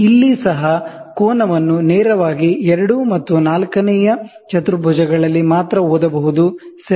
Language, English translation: Kannada, Here also, the angle can be directly read only in two quadrants, namely second and fourth, ok